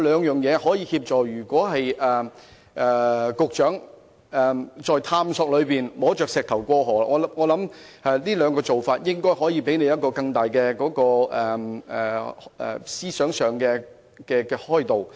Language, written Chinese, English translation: Cantonese, 如果局長在探索中"摸着石頭過河"，我想這兩種做法應該可以讓局長在思想上獲得更大的開導。, If the Secretary is groping for stones to cross the river in the course of exploration I think these two approaches will probably offer him greater insights